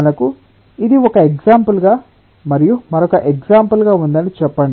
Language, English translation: Telugu, let us say: we have this as one example and this as another example